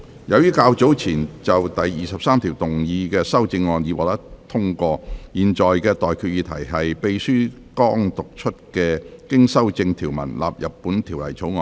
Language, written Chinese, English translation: Cantonese, 由於較早前就第23條動議的修正案已獲得通過，我現在向各位提出的待決議題是：秘書剛讀出經修正的條文納入本條例草案。, As the amendment to clause 23 has been passed earlier I now put the question to you and that is That the clause as amended just read out by the Clerk stand part of the Bill